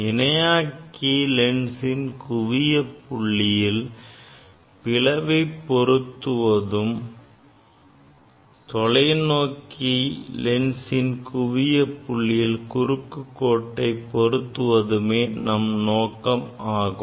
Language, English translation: Tamil, Purpose is that these we have to put the slit at the focal point of the collimator lens and we have to put cross wire at the focal point of the telescope lens